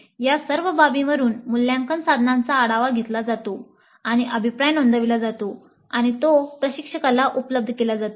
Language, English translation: Marathi, From all these aspects the assessment instruments are reviewed and the feedback is recorded and is made available to the instructor